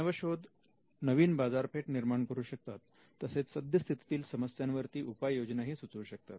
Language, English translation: Marathi, Now, inventions can create new markets, inventions can offer solutions to existing problems